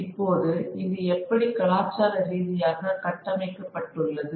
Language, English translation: Tamil, Now how did this get framed culturally